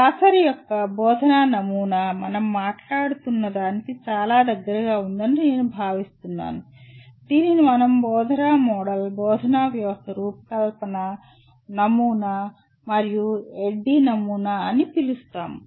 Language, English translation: Telugu, So broadly I feel the Glasser’s model of teaching comes pretty close to what we are talking about the other one called instructional model, instructional system design model what we call ADDIE